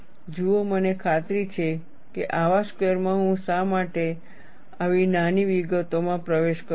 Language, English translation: Gujarati, See, I am sure in a class like this, why I get into such minute details